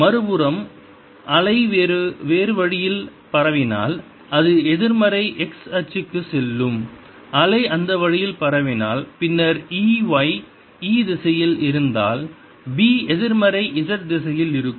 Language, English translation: Tamil, if the wave was propagating this way, then if e, y, e was in the y direction, b would be in the negative z direction